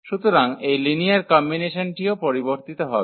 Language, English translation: Bengali, So, this linear combination will also change